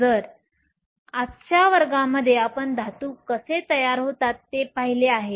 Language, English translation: Marathi, So, in todayÕs class we have looked at how metals formed